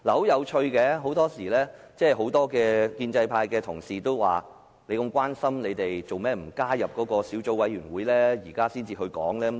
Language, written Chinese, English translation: Cantonese, 有趣的是，很多建制派同事說，如果民主派議員這麼關心此事，為何他們不加入該小組委員會，現在才提出意見？, It is interesting to note that many pro - establishment Members have queried why pro - democracy Members did not join the Subcommittee if they are so concerned about this matter . Why do they wait until now to put forward their views?